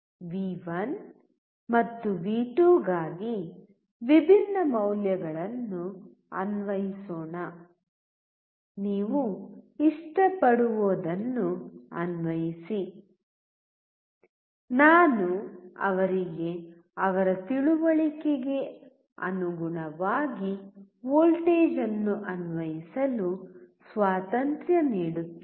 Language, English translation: Kannada, Let us apply different values for V1 and V2; just apply whatever you like; I give him the freedom and he is applying voltage according to his understanding